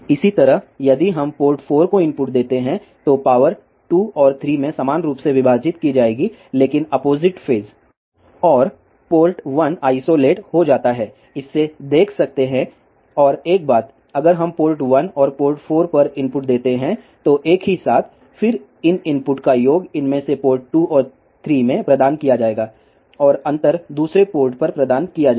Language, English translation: Hindi, Similarly, if we give input to port 4, then power will be divided in 2 and 3 equally, but in opposite phase and port 1 will be isolated as seen from this and one more thing, if we giveinput at port one and port 4 simultaneously, then the sum of these inputs will be provided at one of these ports 2 and 3 and the difference will be provided at the other port